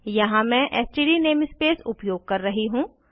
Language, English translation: Hindi, Here we are using std namespace